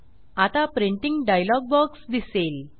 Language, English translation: Marathi, Now, the Printing dialog box appears